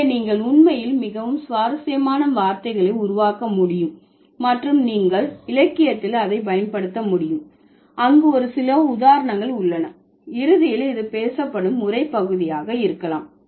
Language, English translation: Tamil, And here are a few instances where you can see how interesting, like how you can actually create very interesting words and you can use it in the literature eventually which is going to be the part which may be a part of the spoken discourse